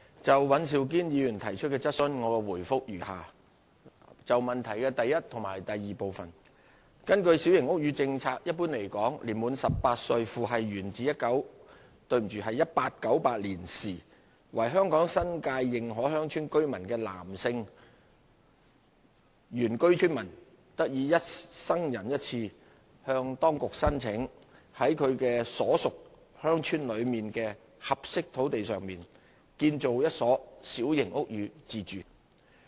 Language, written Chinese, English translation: Cantonese, 就尹兆堅議員提出的質詢，我答覆如下：一及二根據小型屋宇政策，一般來說，年滿18歲，父系源自1898年時為香港新界認可鄉村居民的男性原居村民，得以一生人一次向當局申請，在其所屬鄉村內的合適土地上建造一所小型屋宇自住。, My reply to Mr Andrew WANs question is as follows 1 and 2 Under the Small House Policy the Policy in general a male indigenous villager aged 18 years old or above who is descended through the male line from a resident in 1898 of a recognized village in the New Territories may apply to the authority once during his lifetime for permission to build for himself a small house on a suitable site within his own village . The Policy has been implemented for more than 40 years